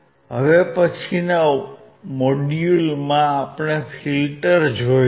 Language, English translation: Gujarati, In the following modules, we will look at the filter